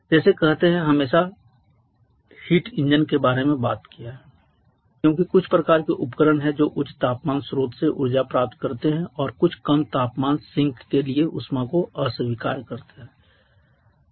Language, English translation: Hindi, Like say we have always talked about heat engines as some kind of devices which receives energy from high temperature source and rejects heat to some low temperature sink